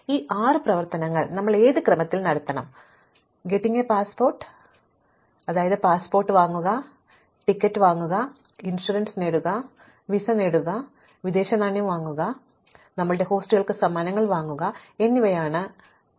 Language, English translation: Malayalam, So, our goal is that given these constraints in what sequence should we perform these six operations, getting a passport, buying a ticket, getting insurance, getting a visa, buying foreign exchange and buying gifts for our hosts